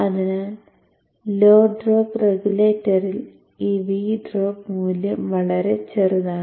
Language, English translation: Malayalam, So in the low drop regulator this V drop value is very small